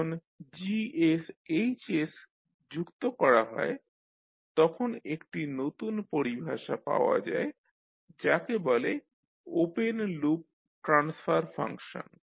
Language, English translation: Bengali, When you combine Gs into Hs you get another term called open loop transfer function